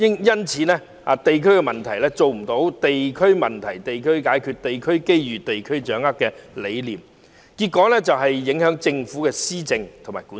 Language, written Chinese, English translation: Cantonese, 因此，不能做到"地區問題地區解決，地區機遇地區掌握"的理念，結果影響政府的施政和管治。, The failure to realize the concept of tackling district issues at district level and grasping district opportunities by the districts has in the end negatively affected the policies of the Government and its governance